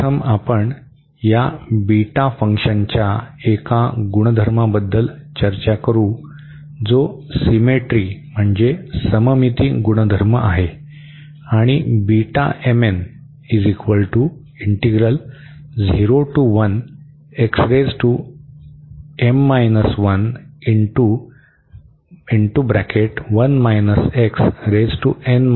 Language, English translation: Marathi, First we will discuss the property one nice property of this beta function which is the symmetry property and this is the improper integral for beta B m, n